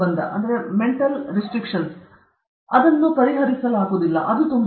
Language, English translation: Kannada, I cannot solve this it is, so difficult